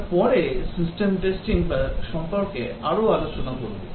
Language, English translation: Bengali, We will discuss more about system testing later